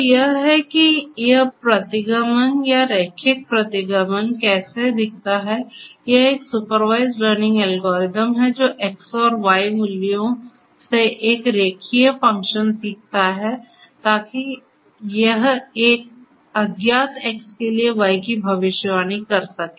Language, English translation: Hindi, So, this is how this regression or linear regression looks like it is a supervised learning algorithm which learns a linear function from the given instances of the X and Y values, so that it can predict the Y for an unknown X